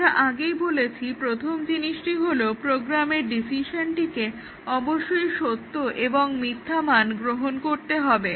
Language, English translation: Bengali, As I was saying that the first thing is that the decision in the program must take true and false value